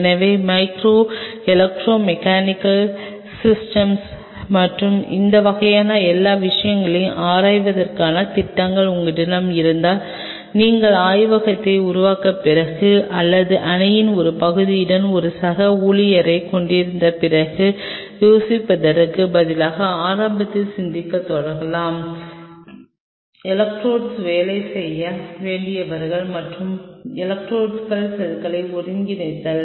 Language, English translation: Tamil, So, if you have plans to explore in the area of micro electromechanical systems and all those kinds of things, you might as well start thinking in the beginning instead of thinking after you make up the lab or you have a colleague with part of team, who was to work on electrodes and integrating cells on electrodes